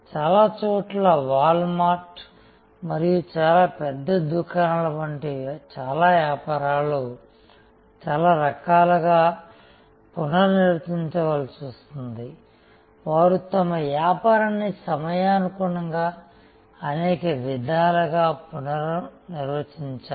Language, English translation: Telugu, And for that matter in most places, many such businesses which are very large stores, like wall mart and others they have to redefine in many ways, they have redefine their business in many ways overtime